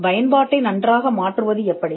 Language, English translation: Tamil, How to fine tune the application